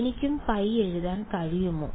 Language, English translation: Malayalam, I could I could write pi also